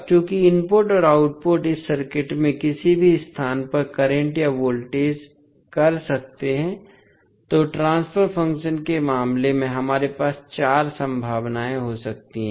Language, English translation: Hindi, Now, since the input and output can either current or voltage at any place in this circuit, so therefore, we can have four possibilities in case of the transfer function